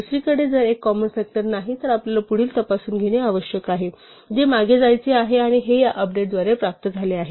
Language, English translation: Marathi, On the other hand, if i is not a common factor we need to proceed by checking the next one which is to go backwards and this is the achieved by this update